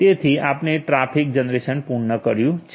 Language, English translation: Gujarati, So, we have completed the traffic generation